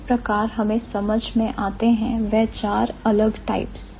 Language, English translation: Hindi, That's how we have got to understand the four different types